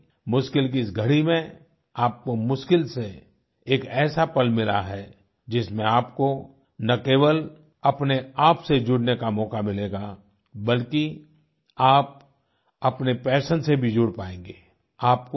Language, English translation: Hindi, In this crisis, you have got a rare opportunity to not only connect with yourself but also with your passion